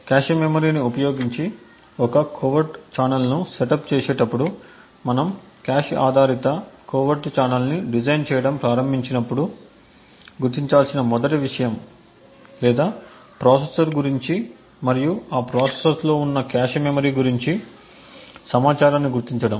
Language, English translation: Telugu, So while setting up a covert channel using the cache memory the 1st thing to identify when we are starting to design a cache based covert channel or is to identify information about the processor and also about the cache memory present in that processor